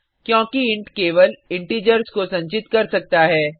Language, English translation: Hindi, That is because int can only store integers